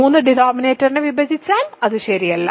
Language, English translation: Malayalam, If 3 divides the denominator it is not there ok